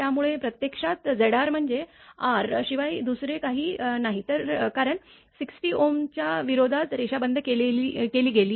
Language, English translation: Marathi, So, actually Z r is nothing but R because line is terminated in resistance of 60 ohm